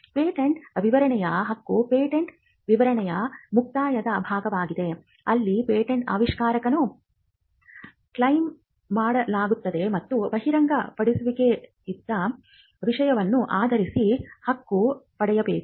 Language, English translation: Kannada, The claim of a patent specification is the concluding part of the patent specification, where a patent, an invention is claimed and claim should itself be based on the matter disclosed